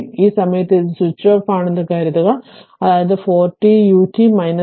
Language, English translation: Malayalam, Suppose at this point it is switches off, so 4 t u t minus 4 t u t minus 3, right